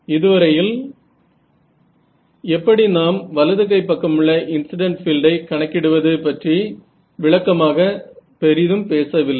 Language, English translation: Tamil, So, so far we have not really spoken too much in detail about this how do we calculate this right hand side E I the incident field right